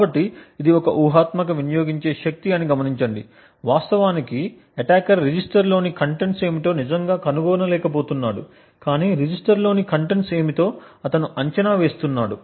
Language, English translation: Telugu, So, note that this is a hypothetical power consumed so the attacker is not actually finding out what the contents of the register is but he is just actually predicting what the contents of the register may be